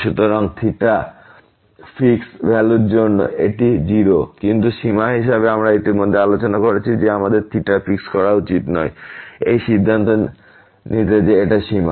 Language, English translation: Bengali, So, for fix value of theta, this is 0, but as for the limit we have already discussed that we should not fix theta to conclude that this is the limit